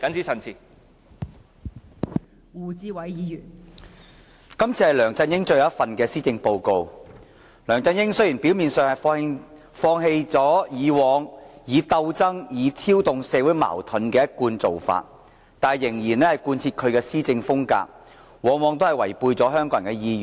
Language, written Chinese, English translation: Cantonese, 這次是梁振英最後一份施政報告，雖然梁振英表面上放棄以往鬥爭和挑動社會矛盾的一貫做法，但卻仍然貫徹其施政風格，往往違背香港人的意願。, This is LEUNG Chun - yings last Policy Address . Though LEUNG Chun - ying has apparently given up his usual practice of struggling and provoking social conflicts he is still adopting the kind of governance which violates Hong Kong peoples will